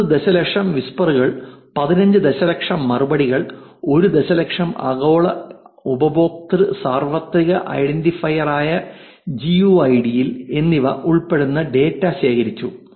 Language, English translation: Malayalam, Data collection again, so 9 million whispers, 15 million replies 1 million GUIDs, which is global user universal identifier, which is the id for every user like you've seen in the twitter also